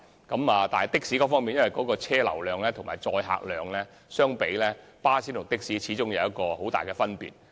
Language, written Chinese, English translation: Cantonese, 然而，巴士與的士在車流量和載客量方面，始終有很大分別。, Nevertheless coaches and taxis differ greatly in terms of traffic volume and passenger capacity